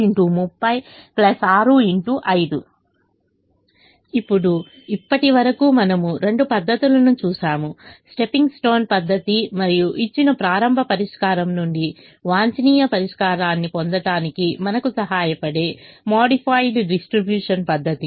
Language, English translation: Telugu, now, so far we have seen two methods, the stepping stone method and the modified distribution method, that help us get the optimum solution from a given starting solution